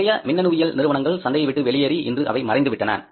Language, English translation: Tamil, Most of the Indian electronics companies have gone out of the market, they have disappeared